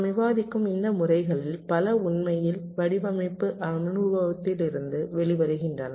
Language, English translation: Tamil, many of these methods that we will be discussing, they actually come out of design experience